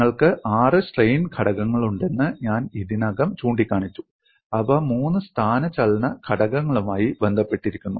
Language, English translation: Malayalam, I have already pointed out that you have six strain components, which are related to three displacement components and what is the problem because of this